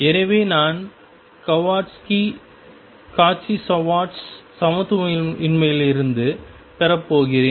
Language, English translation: Tamil, So, I am going to have from Cauchy Schwartz inequality